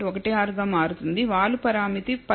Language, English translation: Telugu, 16 to the slope parameter turns out to be 15